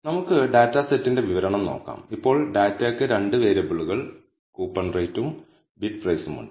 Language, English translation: Malayalam, Now, let us look at the description of the dataset, now the data has 2 variables coupon Rate and Bid Price